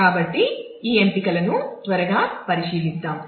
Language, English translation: Telugu, So, let us quickly take a look at these options